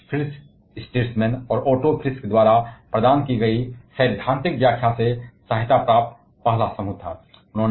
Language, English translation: Hindi, And they were the first group aided by the theoretical explanation provided by Fritz Strassman and Oto Frisch